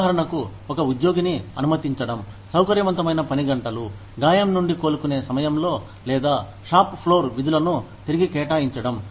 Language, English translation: Telugu, For example, permitting an employee, flexible work hours, during recovery from an injury, or maybe, re assigning shop floor duties